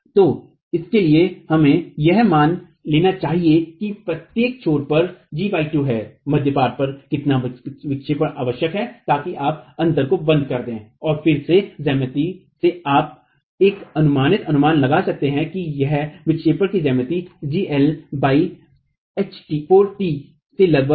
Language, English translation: Hindi, So, for that let's assume that the gap itself is G by 2 at each end how much deflection at midspan is required so that you close the gap and again from geometry you can make an approximate estimate that this is about four times it's about G into L by 4 times T from the geometry of the deflection itself